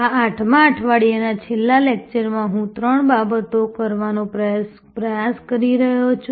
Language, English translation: Gujarati, In the last lecture of this 8th week, I am going to attempt to do three things